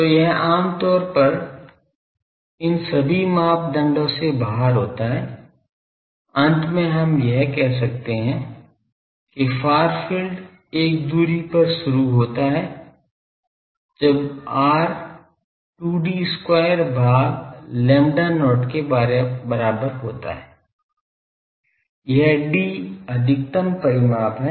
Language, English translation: Hindi, So, it generally out of all these criteria finally we can say that the far field starts at a distance when r is equal to 2 D square by lambda not; this D is the maximum dimension